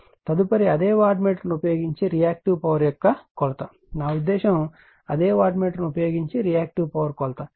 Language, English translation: Telugu, Next is the Measurement of Reactive Power using the same wattmeter , right, I mean , using the your same wattmeter you measure the your what you call the , your Reactive Power